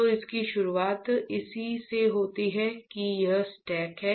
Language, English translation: Hindi, So, it starts with this is a these are the stacks